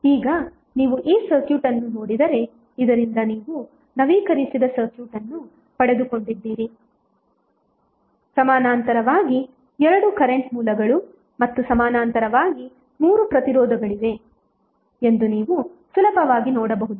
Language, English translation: Kannada, So now, you have got updated circuit from this if you see this circuit you can easily see that there are two current sources in parallel and three resistances in parallel